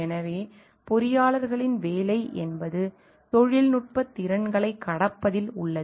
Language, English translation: Tamil, So, the what we find like the job of the engineers lies in overcoming the technical competencies